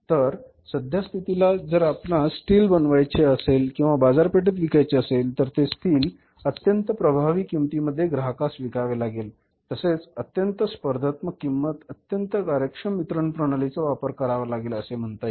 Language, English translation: Marathi, So in this case today if you have to sell the steel, manufacture and sell the steel in the market, customer would be buying the steel of that company who is providing it or selling it at the very effective price, very competitive price and in a very efficient distribution through the very efficient distribution system